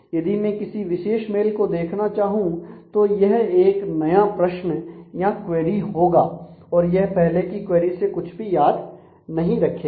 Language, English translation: Hindi, So, if I now want to look at a specific mail it has to be a new query and it is not remember anything from the previous query